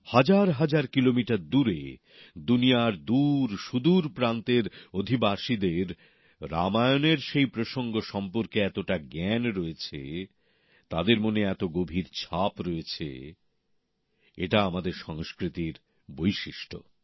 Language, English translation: Bengali, People residing thousands of kilometers away in remote corners of the world are deeply aware of that context in Ramayan; they are intensely influenced by it